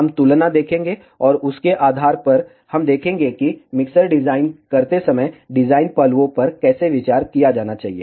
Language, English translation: Hindi, We will see the comparison, and based on that, we will see how the design aspects have to be consider while designing a mixer